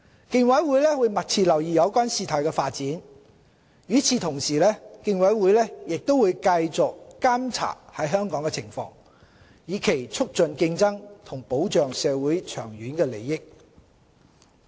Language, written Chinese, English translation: Cantonese, 競委會會密切留意有關事態發展，與此同時，競委會亦會繼續監察香港的情況，以促進競爭及保障社會的長遠利益。, The Commission will keep abreast of the development and continue to monitor the situation in Hong Kong with a view to promoting competition for enhancing the long term benefit of the community